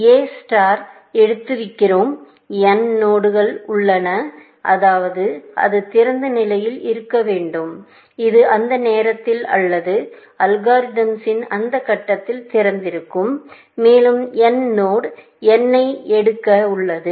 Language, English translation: Tamil, There is node n which A star is about to pick, which means, it must be on open; this is open at that stage of time, or that stage of the algorithm, and n is about to pick node n